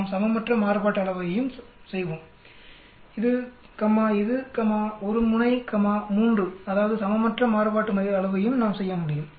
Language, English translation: Tamil, Let us do the other one unequal variance also, this comma, this comma, one tailed comma, 3 that is unequal variance also we can do